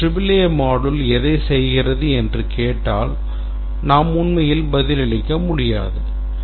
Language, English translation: Tamil, And if we ask that what does the module A achieve, we cannot really answer